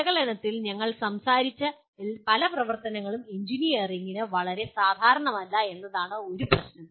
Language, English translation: Malayalam, The other issue is many of the activities that we talked about under analyze are not very common to engineering